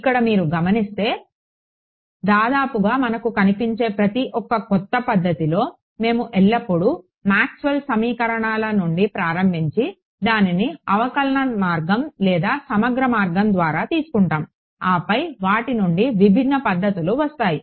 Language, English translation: Telugu, See notice that, in almost not almost in every single new method that we come across, we always just start from Maxwell’s equations and either take it through a differential route or a integral route and then different methods come from them